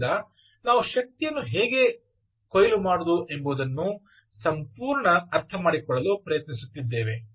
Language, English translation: Kannada, so we are just trying to understand whole end to end of how to harvest energy from